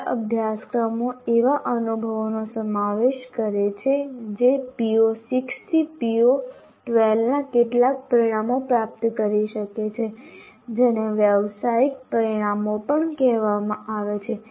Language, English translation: Gujarati, And good courses incorporate experiences that can lead to attaining some of the professional outcomes, PO6 to PO12